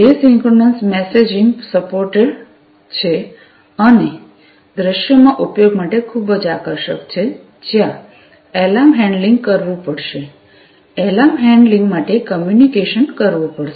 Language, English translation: Gujarati, Asynchronous messaging is supported and is very much attractive for use in scenarios, where alarm handling will have to be done, the communication for alarm handling will have to be done